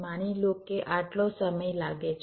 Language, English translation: Gujarati, suppose it takes this much time